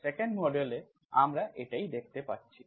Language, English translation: Bengali, This is what we see in the 2nd model